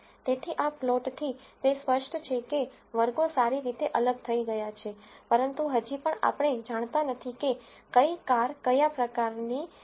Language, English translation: Gujarati, So, from this plot it is clear that the classes are well separated, but we still do not know which site belongs to which car type